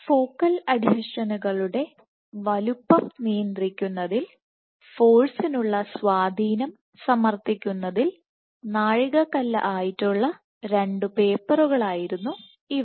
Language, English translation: Malayalam, These were 2 landmark papers which demonstrated the influence of forces in regulating focal adhesion size